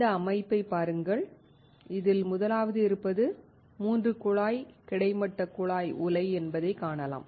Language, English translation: Tamil, Look at this system where we see that the first one is a 3 tube horizontal tube furnace